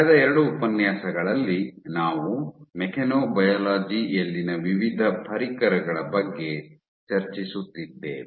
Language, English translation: Kannada, In last lecture over the last 2 lectures we are discussing about various tools in Mechanobiology